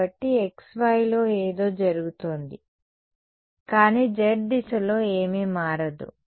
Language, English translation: Telugu, So, something is happening in xy, but nothing changes in the z direction